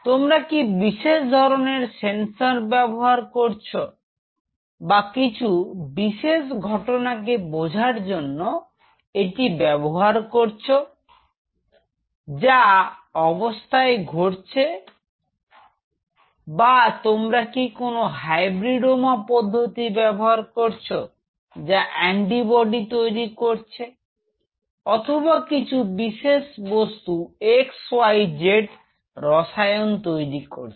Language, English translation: Bengali, Are you using it for a specific sensor application or you are using it for understanding certain event happening at the cellular level or you are using it for some kind of hybridoma technique like you know antibody production or you are using it for production of some other x, y, z chemical